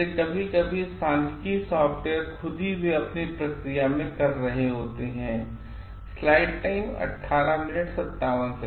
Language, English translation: Hindi, So, sometimes the statistical softwares themselves they are doing the process for themselves